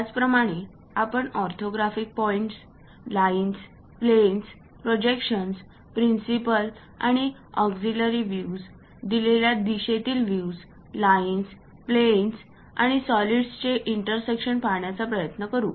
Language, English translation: Marathi, And also we will try to look at orthographic points, lines, planes, projections, principle and auxiliary views, views in a given direction, sectional views, intersection of lines, planes and solids